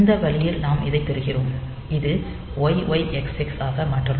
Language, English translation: Tamil, So, that way we get this then this it will be converted to YYXX